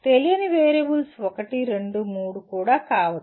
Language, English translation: Telugu, Unknown variables may be one, two, three also